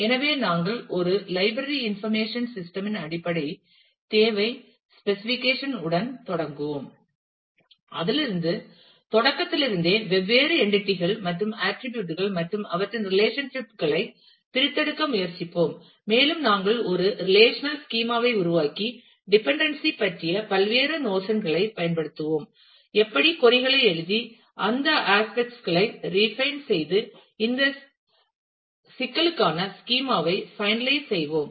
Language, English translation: Tamil, So, we will start with a basic requirement specification for a library information system and then from the starting from that we will try to extract different entities and attributes and their relationships and we will make a relational schema and use different notions of dependency and how to write queries we will look into those aspects and refine that and finalize a schema for this problem